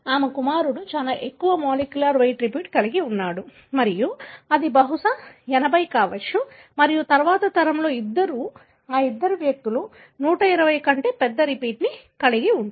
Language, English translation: Telugu, Her son have a much higher molecular weight repeat and that could be probably 80 and then in the next generation, both of them, these two individuals have much larger repeat that is 120